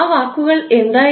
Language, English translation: Malayalam, What were those words